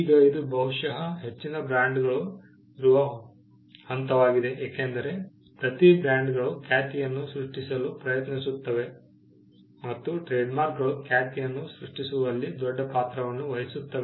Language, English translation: Kannada, Now, this probably is the stage at which most brands are because, every brand is trying to create a reputation and trademarks do play a big role in creating reputation